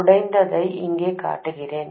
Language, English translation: Tamil, Let me show this broken here